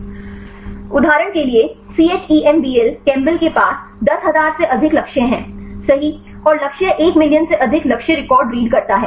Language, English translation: Hindi, For example the ChEMBEL chembl it has more than 10,000 targets right and the target records more than one million target records right